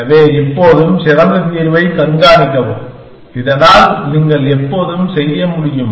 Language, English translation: Tamil, So, always keep track of the best solution, so that you can always do